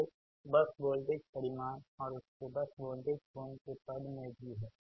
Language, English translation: Hindi, so in terms of bus voltage, magnitude and its bus voltage angle, also right